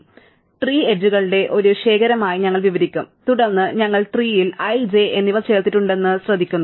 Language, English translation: Malayalam, So, we will describe the tree as a collection of edges, and then we note that we have added i and j to the tree